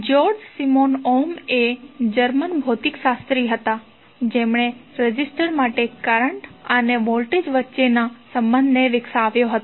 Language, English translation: Gujarati, George Simon Ohm was the German physicist who developed the relationship between current and voltage for a resistor